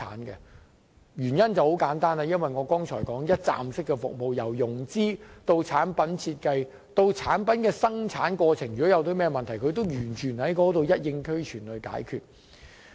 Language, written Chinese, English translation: Cantonese, 原因很簡單，就是我剛才提到的一站式服務，由融資、產品設計以至生產的情況，連同在過程中出現問題也一併解決。, The simple reason for this is the one - stop handling I mentioned just now . There is one - stop handling for all matters including financing product design and manufacture and even all the snags in the process